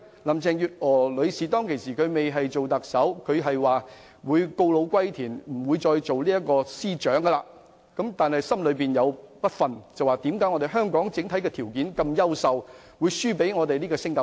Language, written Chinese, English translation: Cantonese, 林鄭月娥女士仍未擔任特首時，曾說自己會告老歸田，不再擔任司長；但後來心有不甘，認為以香港的整體優秀條件，不應敗給新加坡。, Before she assumed office as the Chief Executive Mrs Carrie LAM had said that she would retire and no longer stay in her position as the Chief Secretary for the Administration . However subsequently she was not reconciled to the fact that Hong Kong might be defeated by Singapore despite our excellent conditions in general